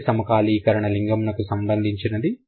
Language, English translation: Telugu, The first syncretism is related to gender